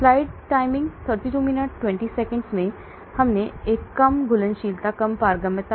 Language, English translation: Hindi, Next one low solubility low permeability